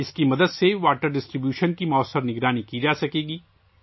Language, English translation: Urdu, With its help, effective monitoring of water distribution can be done